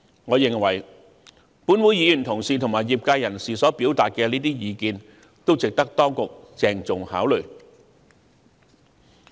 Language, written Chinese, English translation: Cantonese, 我認為，本會議員同事及業界人士所表達的意見均值得當局鄭重考慮。, I think the views of fellow Members of this Council and members of the profession are worthy of serious consideration by the Administration